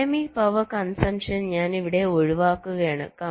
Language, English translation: Malayalam, so i am avoiding dynamic power consumption here